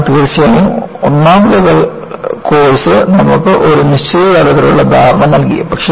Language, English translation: Malayalam, So, definitely the first level of the course has given you certain level of understanding